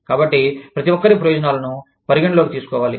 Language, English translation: Telugu, So, everybody's interests, need to be taken, into account